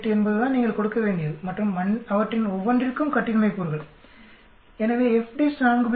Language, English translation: Tamil, 48 is what you have to give and the degrees of freedom for each 1 of them, so FDIST 4